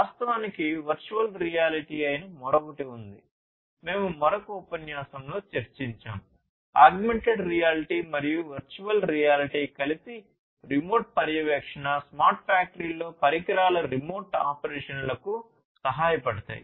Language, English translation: Telugu, In fact, there is another one which is the virtual reality, that also we have discussed in another lecture, augmented reality and virtual reality together will help in remote monitoring, remote operations of instruments in a smart factory